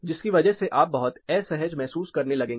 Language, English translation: Hindi, So, you are going to feel uncomfortable